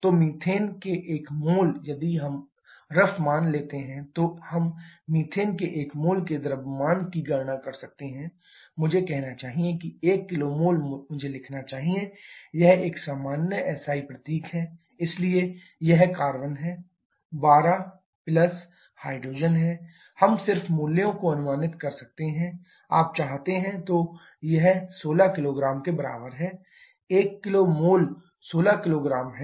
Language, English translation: Hindi, So 1 mole of methane, if we take rough values then we can calculate the mass of 1 mole of methane to be; let me say 1 kilo mole I should write, this is a common SI symbol so it is carbon is 12 plus hydrogen is we can just approximate values you want so it is equal to 16 kgs 1 kilo mole is 16 kgs